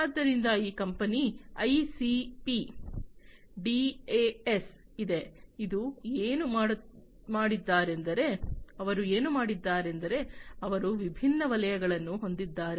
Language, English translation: Kannada, So, there is this company ICP DAS and you know, what they have done is they have different, different, different sectors, right